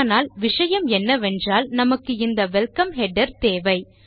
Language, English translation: Tamil, But the point is that we want this welcome header here